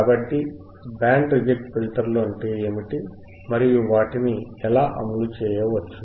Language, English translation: Telugu, So, what are band reject filters and how it can be implemented